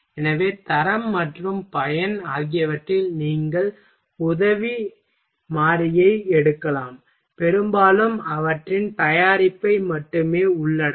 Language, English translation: Tamil, So, you can take help variable in quality and usefulness often only cover their product